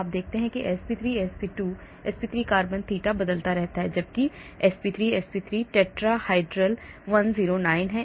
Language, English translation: Hindi, you see sp3, sp2, sp3 carbon the theta0 varies whereas this sp3, sp3 tetrahydral 109